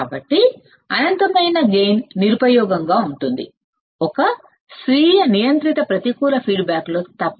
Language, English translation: Telugu, So, the infinite gain would be useless except in the self regulated negative feedback